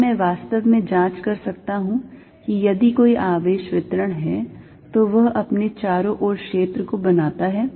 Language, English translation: Hindi, Can I really check, if there is a charge distribution it creates this field around itself